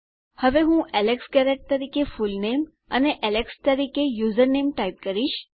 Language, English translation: Gujarati, Now what I will type is my fullname as Alex Garrett and my username as alex